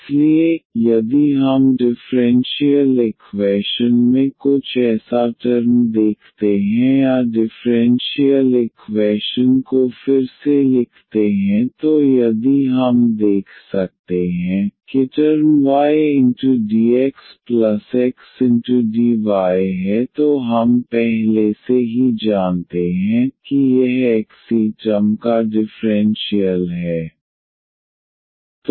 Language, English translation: Hindi, So, if we see some such a term in the differential equation or by rewriting the differential equation if we can see that there is a term y dx plus x dy then we know already that this is the differential of xy term